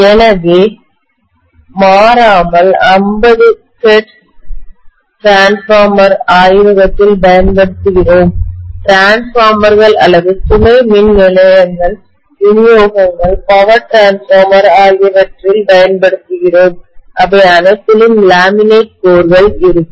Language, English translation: Tamil, So invariably, you would see that all our 50 hertz Transformers what we use in the laboratory or use in the substations, distributions, power transformer, all of them will have laminated cores